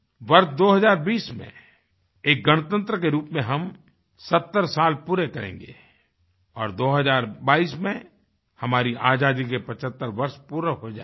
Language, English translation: Hindi, In the year 2020, we shall complete 70 years as a Republic and in 2022, we shall enter 75th year of our Independence